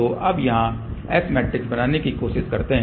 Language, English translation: Hindi, So, now, let us try to build the S matrix here